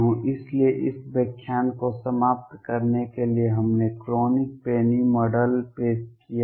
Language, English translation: Hindi, So, to conclude this lecture we have introduced Kronig Penney Model